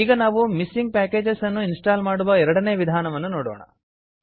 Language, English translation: Kannada, Now let us see the second method of installing missing packages